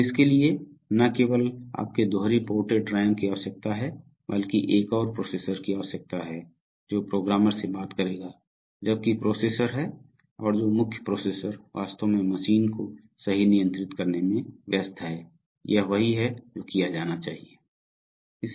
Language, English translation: Hindi, So for that, since not only you need a dual ported RAM, you need another processor which will talk to the programmer while the processor is, while the main processor is actually busy controlling the machine right, so this is what is done